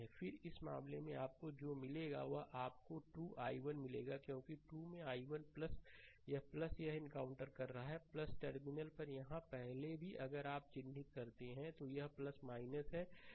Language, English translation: Hindi, Then in this case what you will get you will get 2 i 1 because 2 into i 1 plus this plus it encountering plus terminal first right here also if you mark, right, it is plus minus